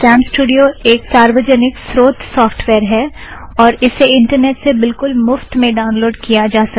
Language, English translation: Hindi, Camstudio is an open source software and can be downloaded free of cost from the internet